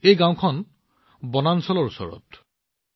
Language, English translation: Assamese, This village is close to the Forest Area